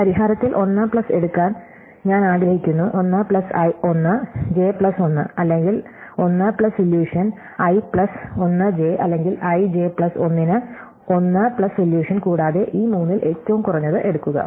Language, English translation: Malayalam, So, I want to take 1 plus in the solution i plus 1 j plus 1 or 1 plus solution i plus 1 j or 1 plus solution for i j plus 1 and take the minimum of these three